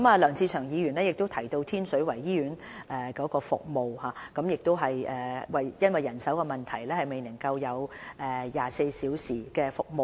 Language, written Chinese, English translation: Cantonese, 梁志祥議員提到天水圍醫院的服務，指因為人手問題，醫院未能提供24小時的急症室服務。, Mr LEUNG Che - cheung has mentioned the failure of the Tin Shui Wai Hospital to provide round - the - clock AE service due to manpower shortage